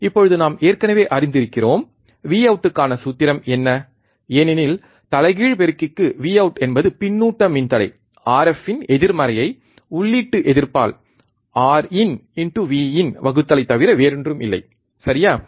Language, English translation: Tamil, Now we already know what is the value of, what is the formula for V out, for inverting amplifier V out is nothing but minus of feedback resistor R f, divide by input resistance R in into input voltage V in, right